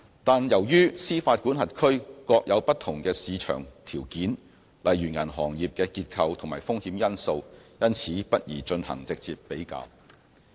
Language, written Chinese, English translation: Cantonese, 但是，由於司法管轄區各有不同的市場條件，例如銀行業的結構及風險因素，因此不宜進行直接比較。, However due to different market conditions of individual jurisdictions such as the varying composition or risk profiles of their banking sectors it is inappropriate to make a direct comparison